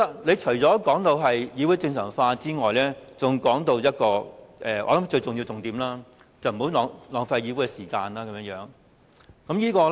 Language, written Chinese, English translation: Cantonese, 他除了提到議會正常化，還提到我想是最重要的一點，便是不要浪費議會時間。, Apart from restoring the normal state of the Council he also mentioned another point which I think is the most important point . He said that we should not waste the time of this Council